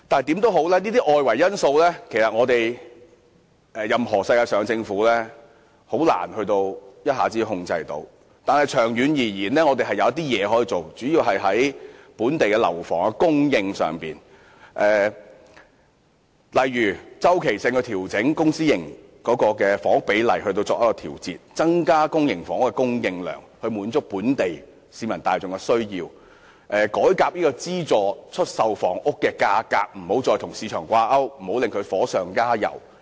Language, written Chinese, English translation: Cantonese, 這些外圍因素，世界上任何政府均難以一下子控制，但長遠而言，政府主要可從本地樓房供應上着手，例如定期調整公私營房屋比例，增加公營房屋的供應量，以滿足本地市民大眾的需要，資助出售房屋的價格不再與市場掛鈎，不要令市場"火上加油"。, Such external factors can hardly be contained by any government in the world in a short while . In the long run however the Government can start with addressing local housing supply such as readjusting the ratio of public to private housing on a regular basis increasing the supply of public housing for meeting the demand of the general public and delinking the prices of subsidized sale housing from market prices so as to avoid adding fuel to the market that is already overheated